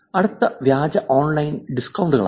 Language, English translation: Malayalam, Next type is, Fake Online Surveys and Contests